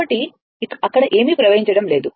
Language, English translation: Telugu, So, nothing is flowing there right